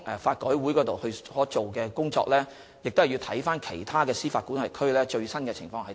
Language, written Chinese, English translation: Cantonese, 法改會進行研究時，要視乎其他司法管轄區的最新情況。, During their studies LRC will take into account the latest development in other jurisdictions